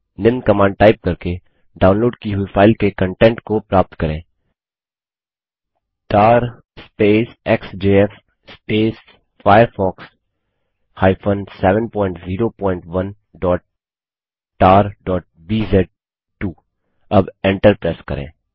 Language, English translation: Hindi, Extract the contents of the downloaded file by typing the following command#160:tar xjf firefox 7.0.1.tar.bz2 Now press the Enter key